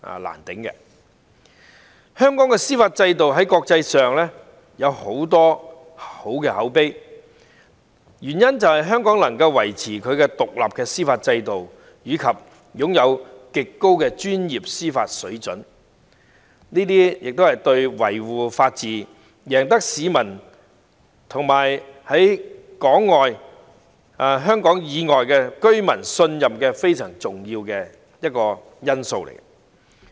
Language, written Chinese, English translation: Cantonese, 香港的司法制度在國際上有很好的口碑，原因是香港能夠維持獨立的司法制度，並擁有極高的專業司法水平，在在都對維護法治及贏取市民和香港以外居民的信任非常重要。, Hong Kongs judicial system has excellent international reputation and this is attributable to our independent judiciary system and an extremely high and professional judicial standard . All these are very important in upholding the rule of law and winning the trust of local and overseas people